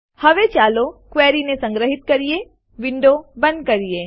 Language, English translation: Gujarati, Let us now save the query and close the window